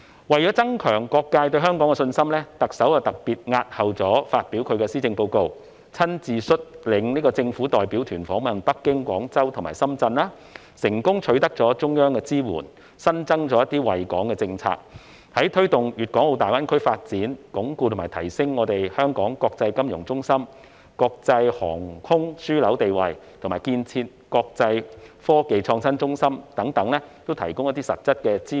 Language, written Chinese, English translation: Cantonese, 為了增強各界對香港的信心，特首特別押後發表施政報告，親自率領政府代表團訪問北京、廣州及深圳，成功取得中央支援，新增一些惠港政策，在推動粵港澳大灣區發展，鞏固和提升香港國際金融中心和國際航空樞紐的地位，以及建設國際科技創新中心等方面，均提供了一些實質支援。, In order to enhance the communitys confidence in Hong Kong the Chief Executive specifically postponed the delivery of her Policy Address and personally led a government delegation to Beijing Guangzhou and Shenzhen which succeeded in securing support from the Central Government in the form of some new policies that are beneficial to Hong Kong . These policies offer us some substantive assistance in respect of promoting the development of the Guangdong - Hong Kong - Macao Greater Bay Area GBA consolidating Hong Kongs status as an international financial centre and international aviation hub and the development of an international innovation and technology IT hub